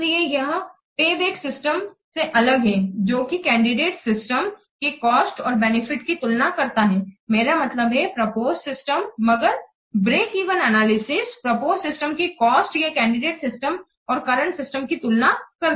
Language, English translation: Hindi, So, unlike the payback method which compares the cost and benefits of the candidate system, even the proposed system, but Breckyvin analysis, it compares what the cost of the proposed system or the candidate system and the current system